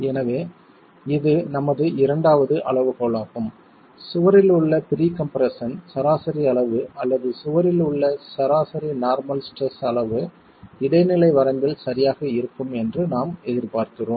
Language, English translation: Tamil, So, this is our second criterion where we expect the level of average, the level of pre compression in the wall or the average normal stress in the wall to be of intermediate range